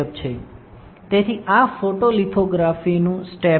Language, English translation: Gujarati, So, this is the photo lithography step